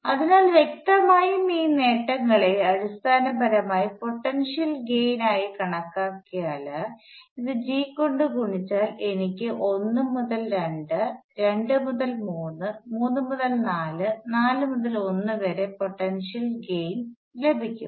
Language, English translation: Malayalam, So obviously, if you sum these gain in heights which are basically stands in for gain in potentials if I multiply this by g, I will have potential gain from 1 to 2, 2 to 3, 3 to 4, and 4 to 1